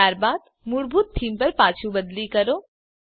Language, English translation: Gujarati, * Then switch back to the default theme